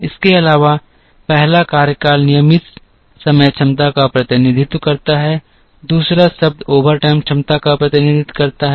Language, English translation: Hindi, Also the first term represents regular time capacity second term represents the overtime capacity